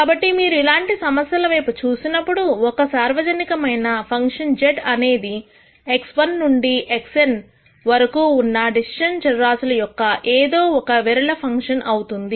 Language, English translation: Telugu, So, when you look at these types of problems, a general function z could be some non linear function of decision variables x 1 to x n